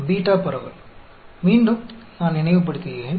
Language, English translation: Tamil, Beta distribution, let me recollect again